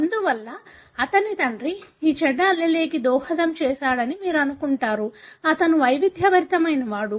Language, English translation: Telugu, Therefore, you will assume his father contributed this bad allele, he is heterozygous